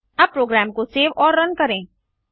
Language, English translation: Hindi, Now Save and Run the program